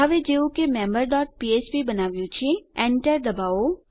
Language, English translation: Gujarati, Now as weve created member dot php, press Enter